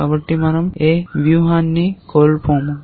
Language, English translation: Telugu, So, that we do not miss out on any strategy